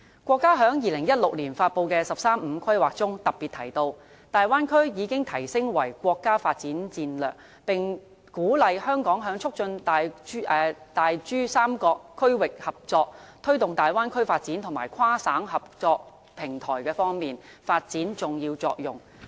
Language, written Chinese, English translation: Cantonese, 國家在2016年發布的"十三五"規劃中特別提到，大灣區已提升為國家發展戰略，並鼓勵香港在促進大珠三角區域合作、推動大灣區發展和跨省合作平台方面，發揮重要作用。, As stated in the 13 Five - Year Plan announced by our country in 2016 the Bay Area has been upgraded to a development strategy of the State and Hong Kong is encouraged to play a vital role in promoting regional cooperation of the Pearl River Delta facilitating the development of the Bay Area and strengthen the cross - provincial cooperative platform